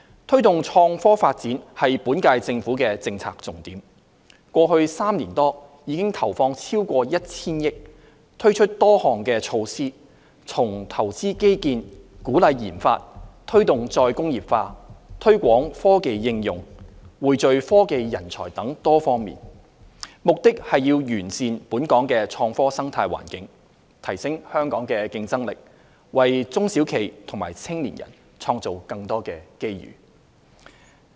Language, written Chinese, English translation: Cantonese, 推動創科發展是本屆政府的政策重點，過去3年多已投放超過 1,000 億元，推出多項措施，包括投資基建、鼓勵研發、推動"再工業化"、推廣科技應用、匯聚科技人才等多方面，目的是完善本港的創科生態環境，提升香港的競爭力，為中小企和青年人創造更多機遇。, Promoting innovation and technology IT development is the policy priority of the current - term Government . In the past three years or so over 100 billion has been devoted to introduce a number of measures including investing in infrastructure encouraging research and development promoting re - industrialization promoting the application of technology pooling together technology talents etc . These measures aim to enhance Hong Kongs IT ecosystem raise Hong Kongs competitiveness and create more opportunities for SMEs and young people